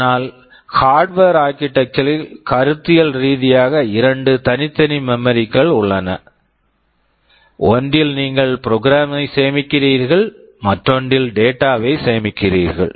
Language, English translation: Tamil, But in Harvard architecture conceptually there are two separate memories; in one you store the program, in another you store the data